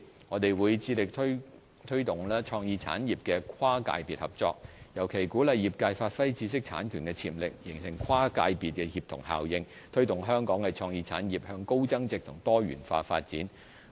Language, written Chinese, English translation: Cantonese, 我們會致力推動創意產業的跨界別合作，尤其鼓勵業界發揮知識產權的潛力，形成跨界別協同效應，推動香港的創意產業向高增值及多元化發展。, We will strive to promote cross - sector cooperation in the creative industries . We especially encourage the industries to unleash the potentials of their intellectual property rights to attain cross - sector synergy so as to facilitate the creative industries to progress up the value chain and pursue diversified development